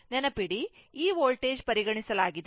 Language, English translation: Kannada, Remember, this voltage is taken is ok